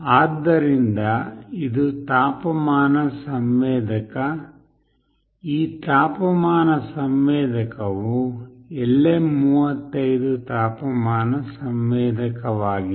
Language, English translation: Kannada, So, this is the temperature sensor, this temperature sensor is LM35 temperature sensor